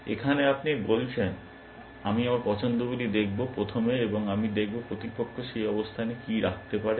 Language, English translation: Bengali, Here, you are saying, I will look at my choices, first and I will look at what the opponent can place, in that position and so on